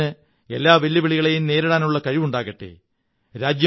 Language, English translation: Malayalam, May our nation be blessed with the strength to face any challenge